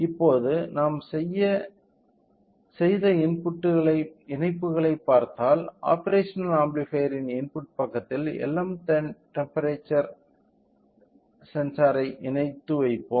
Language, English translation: Tamil, Now, if we see the connections so, what we have done is replaced input side of the operational amplifier with LM35 temperature sensor